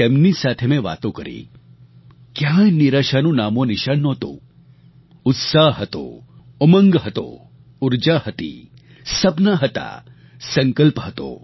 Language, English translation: Gujarati, I talked to them, there was no sign of despair; there was only enthusiasm, optimism, energy, dreams and a sense of resolve